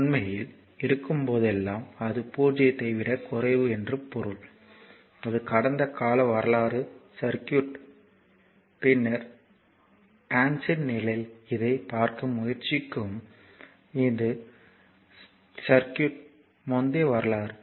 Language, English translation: Tamil, So, actually whenever we take then it is less than 0 means say it is something like this the past history of the circuit, later in transient we will try to see this say it is past history of the circuit